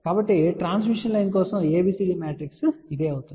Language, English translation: Telugu, So, this is what is the ABCD matrix for a transmission line